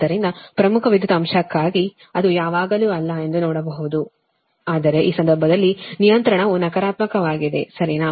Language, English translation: Kannada, right so for leading power factor, you can see that it is not always, but in this case that regulation is negative, right so